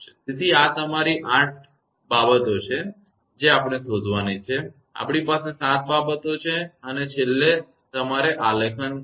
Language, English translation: Gujarati, So, these are your eight quantities we have to determine; we have seven quantities and last one you have to plot